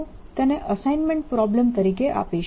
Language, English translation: Gujarati, i will give that as an assignment problem